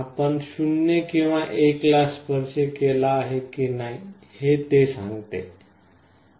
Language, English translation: Marathi, It says whether you have touched it or not touched it, 0 or 1